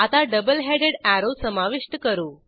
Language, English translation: Marathi, Now lets add a double headed arrow